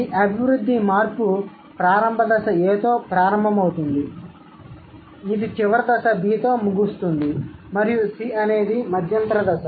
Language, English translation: Telugu, This developmental change begins with initial stage A, it ends with final stage B and C is the intermediate stage, right